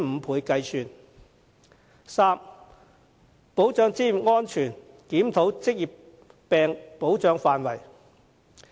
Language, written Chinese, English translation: Cantonese, 第三，保障職業安全，檢討職業病保障範圍。, Third safeguarding occupational safety and reviewing the scope of protection for occupational diseases